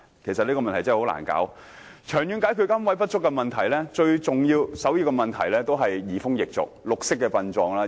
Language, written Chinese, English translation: Cantonese, 要長遠解決龕位不足的問題，最重要和首要的方法，便是移風易俗，推廣綠色殯葬。, To solve the shortage of niches in the long term the first and foremost solution is to bring about changes in customs and traditions and promote green burial